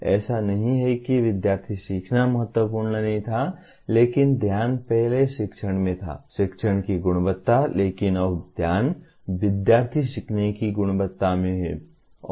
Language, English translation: Hindi, It is not that student learning was not important but the focus earlier was teaching, the quality of teaching but now the focus is quality of student learning